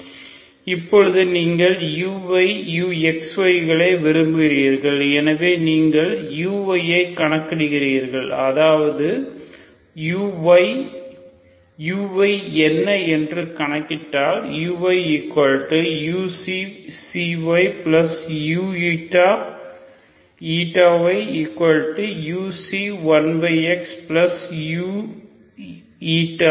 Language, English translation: Tamil, Now you want U Y, U X Y so you calculate your U Y that is U Y if you calculate what is U Y